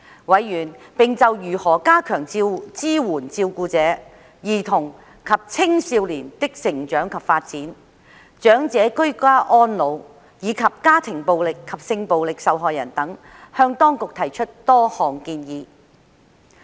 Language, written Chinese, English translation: Cantonese, 委員並就如何加強支援照顧者、兒童及青少年的成長及發展、長者居家安老，以及家庭暴力及性暴力受害人等，向當局提出多項建議。, Moreover members put forward many suggestions to the Administration in respect of how to strengthen support for carers the growth and development of children and youths age in place of elders and victims of domestic violence and sexual violence